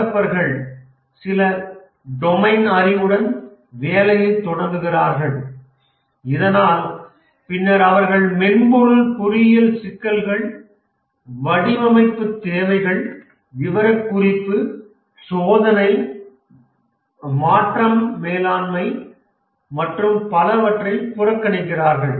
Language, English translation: Tamil, The developers start developing with some domain knowledge but then they ignore the software engineering issues, design, requirement specification, testing, change management and so on